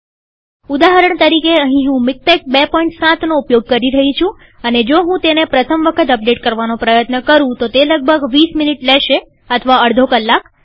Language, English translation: Gujarati, For example, here I am using MikTeX 2.7, and if I try to update it the very first time it could take about 20 minutes or even half an hour